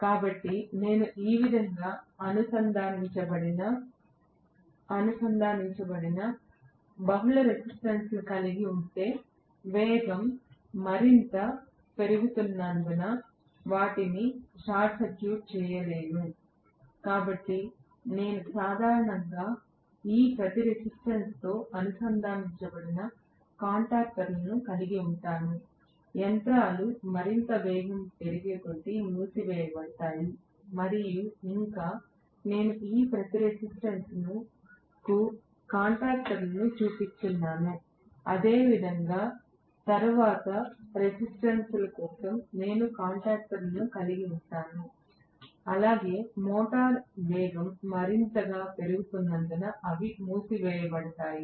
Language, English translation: Telugu, So, if I have multiple number of resistances connected like this I can short circuit them as the speed increases further and further, so I will have normally contactors connected across each of these resistances like this which can be closed as the machines gains speed further and further, so I am just showing contactors for each of these resistances right, so similarly, I will have contactors for the next resistances as well they will be closed as the motor gains velocity further and further right